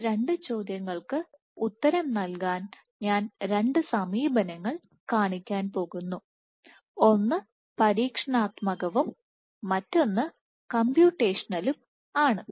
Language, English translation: Malayalam, So, to answer these two questions I am going to show two approaches one is an experimental one and then one is the computational one